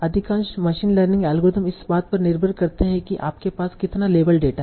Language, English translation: Hindi, So for most of the machine learning algorithms they all depend on how much label data that you have